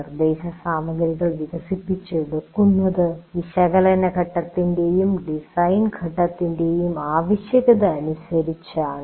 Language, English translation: Malayalam, Now on what basis do you develop, instructional material is developed as per the requirements of analysis phase and design phase